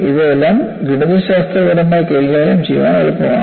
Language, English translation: Malayalam, These are all easy to handle mathematically